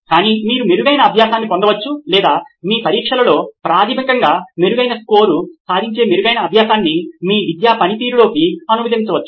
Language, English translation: Telugu, Either you can have a better learning or you can translate that better learning into your academic performance which is basically scoring better in your exams